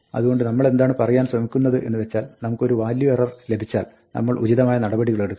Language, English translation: Malayalam, So, what we are trying to say is that, if we get a value error, we want to take appropriate action